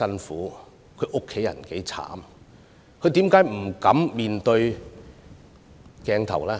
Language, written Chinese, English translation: Cantonese, 為何他們不敢面對鏡頭呢？, Why didnt they dare to show their appearance on camera?